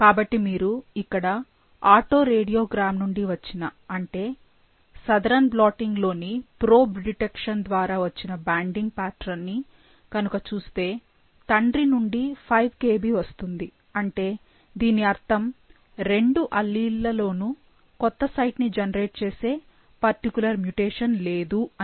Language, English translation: Telugu, So, if you look at the banding pattern that we got from the auto radiogram that we got from the probe detections in Southern blotting, the father gives a 5 Kb band which means, both the alleles, none of the alleles have the that particular mutation which generates that new site and hence there is only one single band